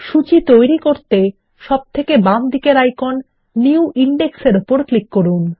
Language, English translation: Bengali, Let us click on the left most icon, New Index, to create our index